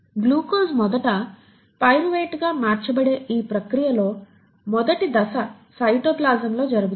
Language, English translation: Telugu, This process where the glucose first gets converted to pyruvate and this first step happens in the cytoplasm